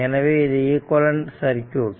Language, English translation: Tamil, So, this is the equivalent circuit right